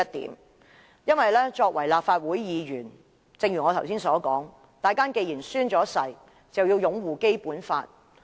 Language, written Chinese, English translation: Cantonese, 正如我剛才所說，作為立法會議員，大家既然已經宣誓，便要擁護《基本法》。, As Members of the Legislative Council who have taken the Oath we have to uphold the Basic Law